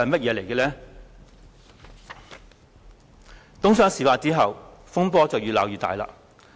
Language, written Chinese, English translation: Cantonese, 在東窗事發後，風波越鬧越大。, After the matter was exposed the storm has become increasingly worse